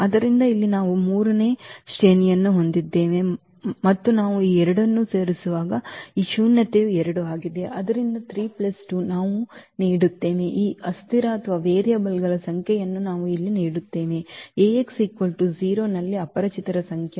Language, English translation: Kannada, So, here we have rank 3 and this nullity is 2 when we add these two, so 3 plus 2 will we will give we will get the number of these variables here number of unknowns in Ax is equal to 0